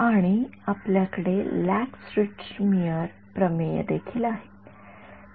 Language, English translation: Marathi, And, we have that Lax Richtmyer theorem as well